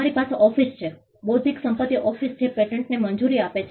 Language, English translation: Gujarati, You have an office, the Intellectual Property Office which grants the patents